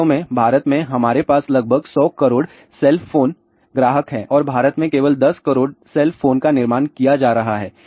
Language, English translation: Hindi, In fact, in India we have about 100 cell phone subscribers and only 10 cell phones are being manufacture in India